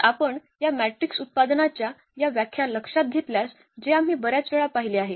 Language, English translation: Marathi, So, if you remember from this definition of this matrix product which we have seen several times